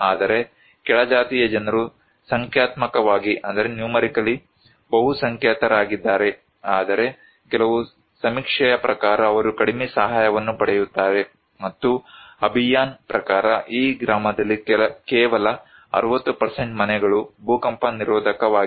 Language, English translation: Kannada, Whereas, lower caste people they are the majority in numerically but they receive low assistance according to some survey, and according to Abhiyan, only 60% of houses are earthquake resistance in this village